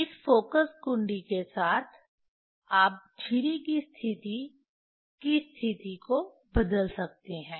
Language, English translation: Hindi, With this focusing knob, you can change the position of the position of the slit